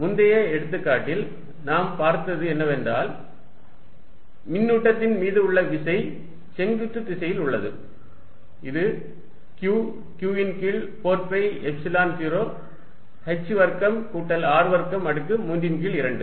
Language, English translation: Tamil, In the previous example, what we saw is that the force on the charge is in the vertical direction, it is magnitude is given by Q q over 4 pi epsilon 0 h over h square plus R square raise to 3 by 2